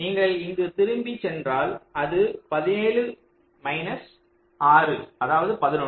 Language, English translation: Tamil, so if you go back here it will be seventeen minus six, it will be eleven